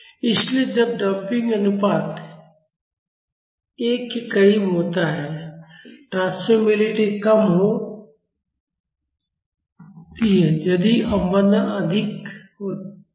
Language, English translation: Hindi, So, when the damping ratio is close to one the transmissibility was low if the damping was high